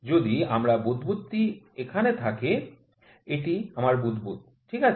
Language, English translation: Bengali, If my bubble is here, this is my bubble, ok